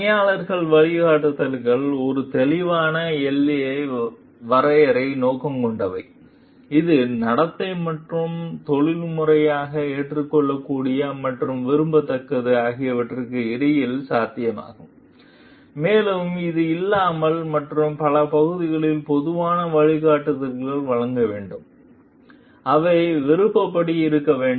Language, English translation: Tamil, The employee guidelines are, is intended to draw as a clear boundary which is possible between behavior and ethically acceptable and desirable, and which is not and to give general guidance in many of the areas, which were discretion in where discretion needs to be exercised